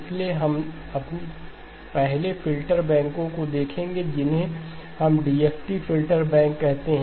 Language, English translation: Hindi, So we will look at the first of the filter banks, which we call as the DFT filter banks